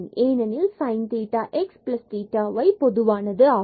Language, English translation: Tamil, So, we have the sin theta x plus theta y and after the simplification